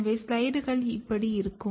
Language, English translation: Tamil, So, the slides look like this